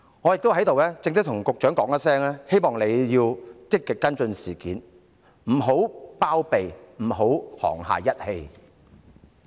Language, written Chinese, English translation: Cantonese, 我在此正式要求局長積極跟進事件，不要包庇任何人，不要沆瀣一氣。, Here I formally request the Secretary to actively follow up the incident and not to shelter anyone or act in collusion with wrongdoers